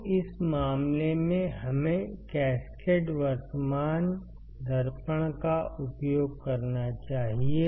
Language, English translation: Hindi, So, what can we do, we can use cascaded current mirror